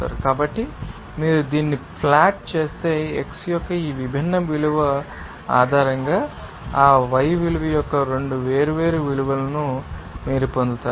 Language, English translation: Telugu, So, if you plot this you will get that 2 different values of you know that y value based on these different value of x